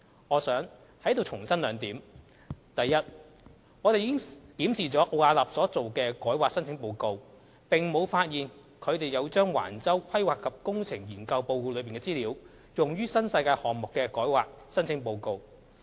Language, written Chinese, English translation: Cantonese, 我想在此重申兩點：第一，我們已檢視了奧雅納所做的改劃申請報告，並沒有發現他們有將橫洲"規劃及工程"研究報告內的資料，用於新世界項目的改劃申請報告。, I would like to reiterate two points here First after examining Arups rezoning application report we had not found that it had used information from the PE Study report of the Wang Chau development in the rezoning application report of the project of NWD